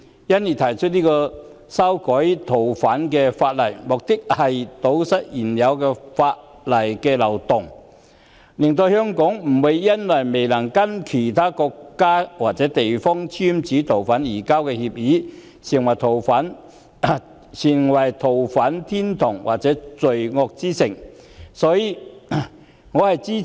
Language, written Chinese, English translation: Cantonese, 修例的目的，是為了堵塞現時法例的漏洞，以防香港因為未有跟其他國家或地方簽署逃犯移交協定，而淪為逃犯天堂或罪惡之城。, The legislative amendments aim to plug the loophole in the existing legislation in order to prevent Hong Kong from relegating to a haven for fugitives or a city of crime due to the absence of SFO agreements between Hong Kong and other countries